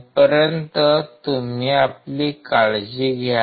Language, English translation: Marathi, Till then you take care